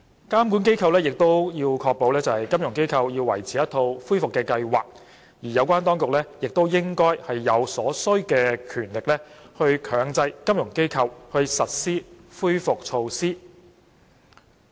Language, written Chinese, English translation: Cantonese, 監管機構應確保金融機構維持一套恢復計劃，而有關當局亦應有所需權力以強制金融機構實施恢復措施。, Supervisory authorities should ensure that FIs maintain a recovery plan and the relevant authorities should also have the requisite powers to mandate the implementation of recovery measures